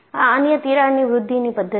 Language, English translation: Gujarati, This is another crack growth mechanism